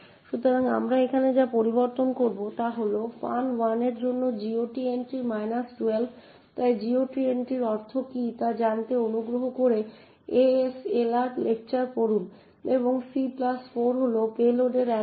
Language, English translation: Bengali, So, what we modify it is with over here is the GOT entry minus 12 for function 1, so please refer to the ASLR lectures to find out what the GOT entry means and *(c+4) is the address of the payload